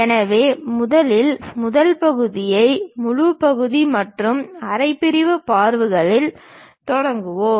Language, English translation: Tamil, So, let us first begin the first part on full section and half sectional views